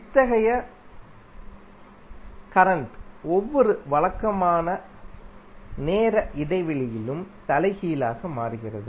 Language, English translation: Tamil, Such current reverses at every regular time interval